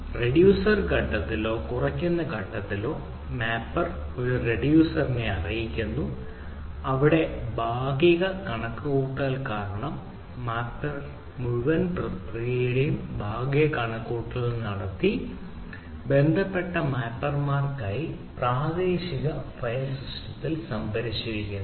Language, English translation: Malayalam, the master informs a reducer where the partial computation because the mapper has d done a partial computation of the whole process have been stored on the local file system